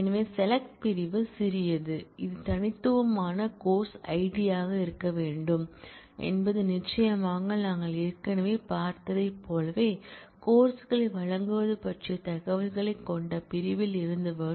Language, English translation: Tamil, So, the select clause is trivial it has to be the distinct course id is certainly the information will come from section which has information about offering of courses as we have also seen already